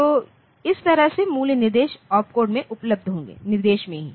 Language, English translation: Hindi, So, that way the value will be available in the instruction opcode; in the instruction itself